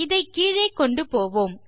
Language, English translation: Tamil, So, lets take this back down here